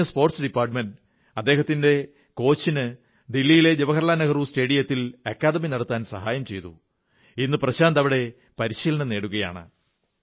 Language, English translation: Malayalam, After knowing this amazing fact, the Sports Department helped his coach to run the academy at Jawaharlal Nehru Stadium, Delhi and today Prashant is being coached there